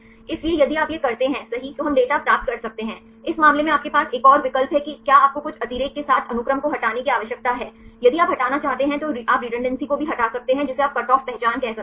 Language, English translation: Hindi, So, if you do this right we can get the data; in this case you also have another option whether do you need to remove the sequences with some redundancy, if you want to remove you can also remove the redundancy you can cut say some cutoff identity